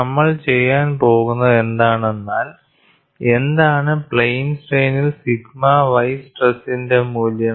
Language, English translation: Malayalam, What we are going to do is; what is the value of the sigma y stress in plane strain